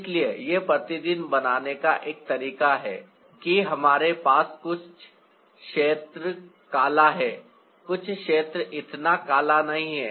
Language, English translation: Hindi, so that is one way of creating a rendering: that we have certain areas dark, some areas not so dark